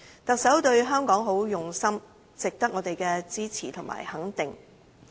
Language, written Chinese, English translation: Cantonese, 特首對香港很用心，值得我們支持和肯定。, The Chief Executives dedication to Hong Kong should be well supported and recognized